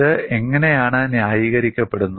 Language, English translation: Malayalam, How this is justified